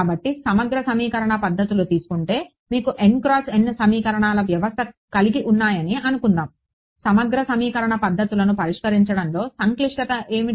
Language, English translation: Telugu, So, integral equation methods say you got a n by n system of equations, what was the complexity of solving integral equation methods